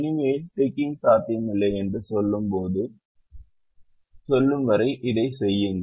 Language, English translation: Tamil, do this till no more ticking is possible